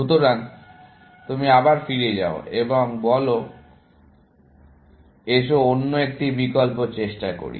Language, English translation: Bengali, So, you go back and say, let us try another option